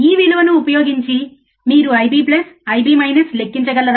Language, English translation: Telugu, 1 uUsing this value, can you calculate I b plus, I b minus